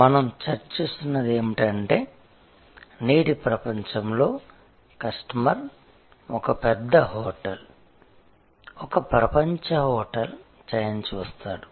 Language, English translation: Telugu, What we have been discussing is that, in today's world while the customer sees a large hotel, a global hotel chain